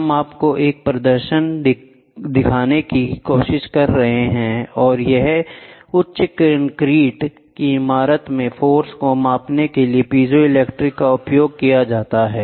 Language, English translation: Hindi, We are trying to show you a demonstration or piezo crystal crystals are used for measuring the forces in high concrete buildings